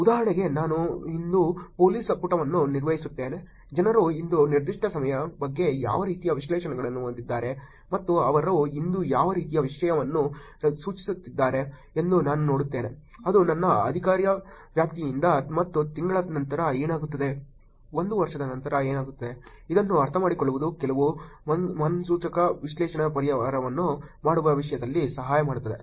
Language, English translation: Kannada, For example, I manage the police page today, I see what kind of views that people have about a particular problem today and what kind of content they are generating today which is from my jurisdiction and month later what happens, a year later what happens, understanding this will actually help in terms of making some predictive analytics solutions also